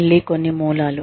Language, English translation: Telugu, Again, some resources